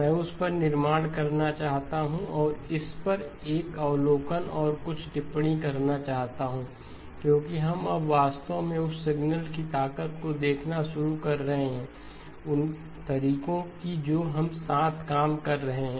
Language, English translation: Hindi, I would like to build on that and make an observation and some comments on this because we are starting to now really look at the strength of the signal that we are, of the methods that we are working with